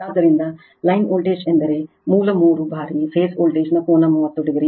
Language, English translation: Kannada, So, line voltage means is equal to root 3 times phase voltage angle 30 degree